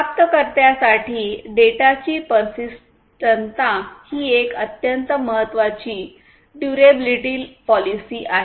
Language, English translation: Marathi, So, the persistence of the data at the receiver is a very important durability policy consideration